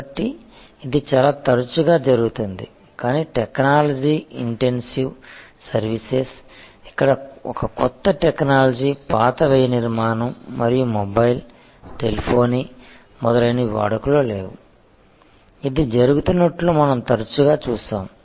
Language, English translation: Telugu, So, it happens very often in say, but technology intensive services, where a new technology obsolete the old cost structure and mobile, telephony etc, we have often seen this is happening